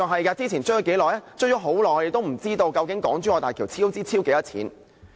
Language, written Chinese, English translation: Cantonese, 我們追問了很久，卻仍不知道究竟港珠澳大橋的超支金額是多少。, We have sought the relevant information for a long time but now we are still uncertain about the cost overrun figure